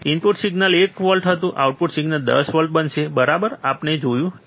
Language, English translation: Gujarati, Input signal was 1 volt, output signal will become 10 volts, right, this what we have seen